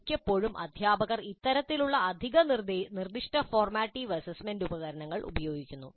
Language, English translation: Malayalam, Now quite often actually teachers use these kind of additional specific formative assessment instruments